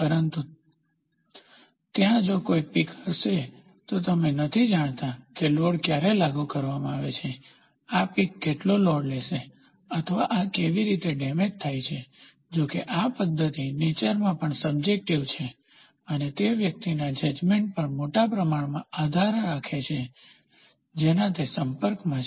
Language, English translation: Gujarati, But exactly if there is a peak then, you do not know when the load is applied, what is the load this peak is going to take or how is this going to get damaged and other thing; however, this method is also subjective in nature, and depends on large extent on the judgement of the person which is in touch